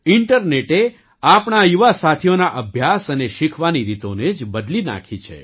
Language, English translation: Gujarati, The internet has changed the way our young friends study and learn